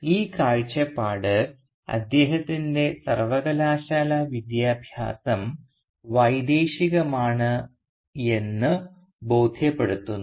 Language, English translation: Malayalam, And this vision convinces him that his university education is “Foreign”